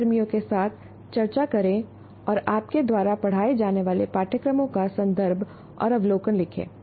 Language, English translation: Hindi, Discuss with colleagues and write the context and overview of the courses that you teach